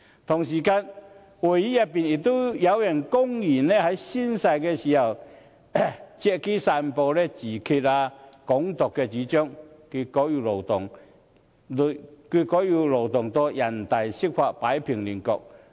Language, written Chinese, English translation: Cantonese, 同時，議會內有人公然在宣誓時，借機散播自決和"港獨"的主張，結果要勞動人大釋法擺平亂局。, Moreover some people in this Council blatantly abused the oath - taking to spread the ideas of self - determination and Hong Kong independence which triggered a Basic Law interpretation by the Standing Committee of National Peoples Congress to settle the matter